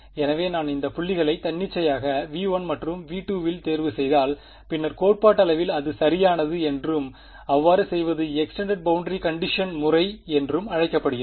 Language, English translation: Tamil, So, if I pick these points like this arbitrarily in V 1 and V 2 then I mean theoretically it is correct and doing so is called the extended boundary condition method; extended boundary condition method